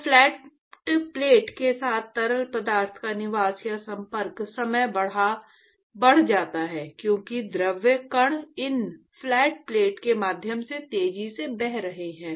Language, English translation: Hindi, So the residence of or the contact time of the fluid with the flat plate increases as the fluid particles are actually traversing through these flat plate right, flowing faster